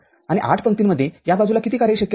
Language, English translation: Marathi, And with 8 rows, how many possible functions are there in this side